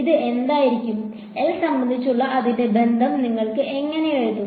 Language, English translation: Malayalam, What would it be, how would you write its relation with respect to L